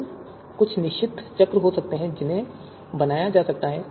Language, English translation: Hindi, So there could be certain cycles that could be created